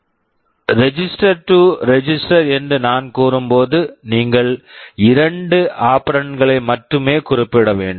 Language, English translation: Tamil, You see when I am saying move register to register, I need to specify only two operands